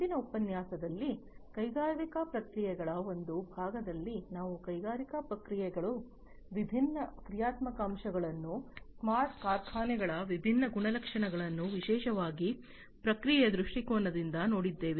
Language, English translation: Kannada, In the previous lecture, in the part one of industrial processes, we have gone through the different functional aspects of industrial processes, the different attributes of smart factories particularly from a process point of view, we have gone through